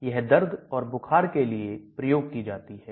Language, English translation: Hindi, This is used for pain, fever